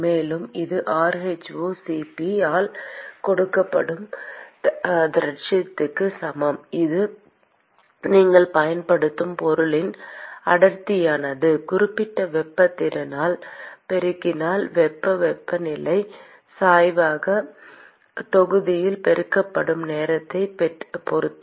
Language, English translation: Tamil, And that is equal to the accumulation which is given by rho*Cp which is the density of the material that you are using multiplied by the specific heat capacity into heat temperature gradient with respect to time multiplied by the volume